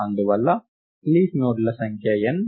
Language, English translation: Telugu, And therefore, the number of leaf nodes is n